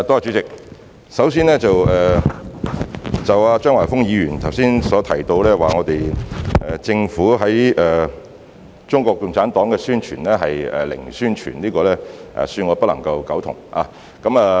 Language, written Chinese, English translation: Cantonese, 主席，首先，張華峰議員剛才指政府對於中國共產黨是"零宣傳"，恕我不能苟同。, President first of all with due respect I cannot agree with the earlier remark made by Mr Christopher CHEUNG that the Government has given zero publicity for CPC